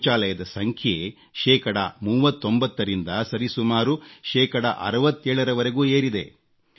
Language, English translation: Kannada, Toilets have increased from 39% to almost 67% of the population